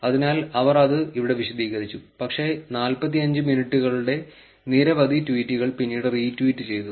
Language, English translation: Malayalam, So, they have explained it here, but since many tweets of the 45 minutes got retweeted later